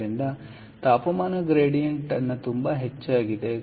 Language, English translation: Kannada, so the temperature gradient is very high, right